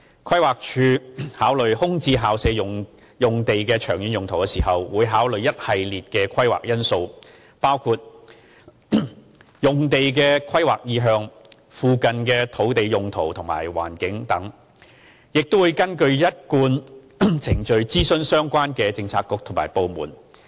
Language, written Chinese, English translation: Cantonese, 規劃署考慮空置校舍用地的長遠用途時，會考慮一系列規劃因素，包括用地的規劃意向、附近的土地用途和環境等，亦會根據一貫程序諮詢相關政策局及部門。, In considering the long - term uses of VSP sites PlanD will take into account a series of planning factors including the planning intention of these sites and the surrounding land uses and environment . PlanD will also consult the relevant bureaux and departments in accordance with the established practice